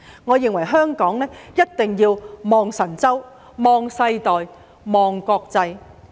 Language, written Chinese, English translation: Cantonese, 我認為香港一定要望神州、望世代、望國際。, I think Hong Kong must look to China the new generations and the world